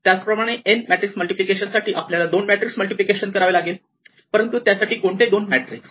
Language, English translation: Marathi, Now same way with n matrices, we have to do two at a time, but those two at a time could be a complicated thing